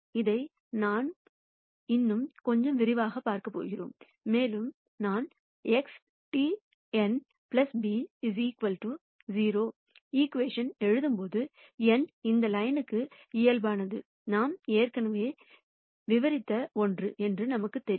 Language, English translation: Tamil, We are going to first look at this in little more detail and we know that when I write an equation of the form X transpose n plus b equal to 0, n is normal to this line, is something that we have already described